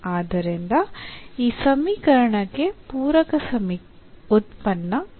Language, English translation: Kannada, So, we have this equation here